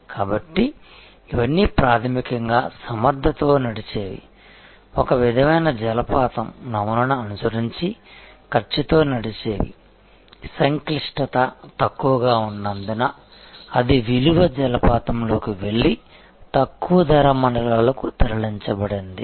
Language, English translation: Telugu, So, it was all basically efficiency driven, cost driven following a sort of a waterfall model, that lower the complexity lower it went into the value waterfall and it moved to lower cost zones